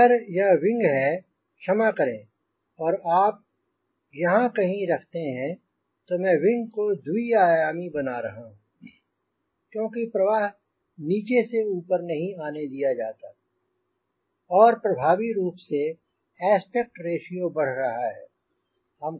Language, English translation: Hindi, if this is the wing, if this is the wing, sorry, when, if you put somewhere here, effectively, i am making the wing two dimensional, except towards that, because i am not allowing flow from the bottom to come over the top or effectively, aspect ratio is increasing